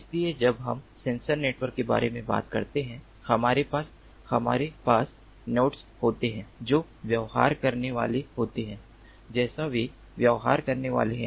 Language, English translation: Hindi, so when we talk about sensor networks, we have, we have nodes that would be behaving as they are supposed to behave